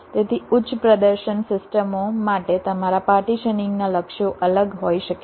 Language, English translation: Gujarati, so for high performance systems, your partitioning goals can be different